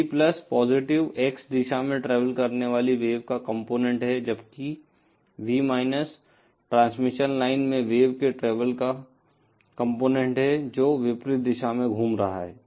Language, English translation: Hindi, V+ represents the component of the wave travelling in the positive x direction, whereas V is that component of the wave travelling in the transmission line that is moving in the opposite direction